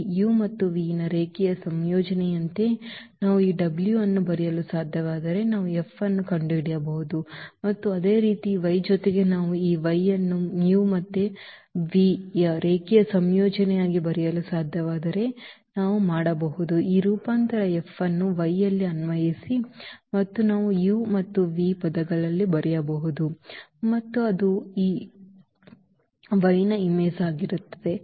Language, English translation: Kannada, If we can if we can write this w as a linear combination of this u and v then we can also find out the F and similarly with y also if we can write down this y as a linear combination of u and v, then we can apply this transformation F on y and we can write down in terms of u and v and that will be the image of this y